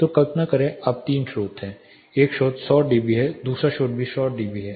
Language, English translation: Hindi, So, imagine now there are 3 sources; one source is 100 dB the second source is also 100 dB